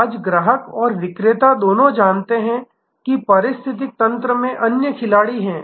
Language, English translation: Hindi, Today, the customer and the seller both know that there are other players in the ecosystem